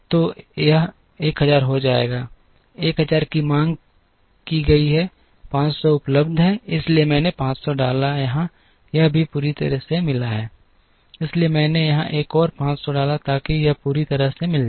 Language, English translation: Hindi, So, this will become 1000, 1000 is demanded 500 is available, so I put a 500 here this is also completely met, so I put another 500 here, so that this is met completely